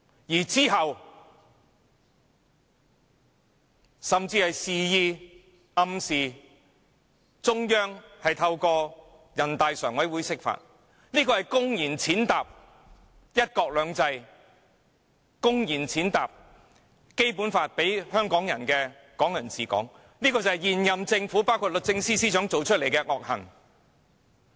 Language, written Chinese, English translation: Cantonese, 其後，他甚至示意或暗示中央透過人大常委會釋法，公然踐踏"一國兩制"及《基本法》賦予港人的"港人治港"，這就是現任政府包括律政司司長作出的惡行。, Subsequently he even indicated or hinted the Central Authorities to resort to an interpretation of the Basic Law via the NPCSC to blatantly trample on one country two systems and the right enshrined in the Basic Law of Hong Kong people ruling Hong Kong . These are the wicked deeds of the incumbent Government including the Secretary for Justice